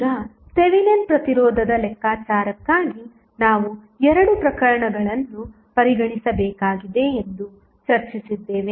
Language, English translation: Kannada, Now, we also discussed that for calculation of Thevenin resistance we need to consider two cases, what was the first case